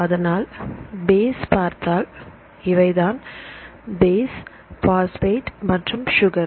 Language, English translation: Tamil, So, if you see this is the base and this is the phosphate and here this is sugar